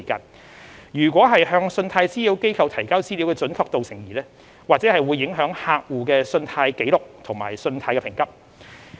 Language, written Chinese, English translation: Cantonese, 倘若向信貸資料機構提交資料的準確度成疑或會影響客戶信貸紀錄和信貸評級。, A customers credit record and rating may be affected as a result should any doubt arises over the accuracy of data submitted to CRAs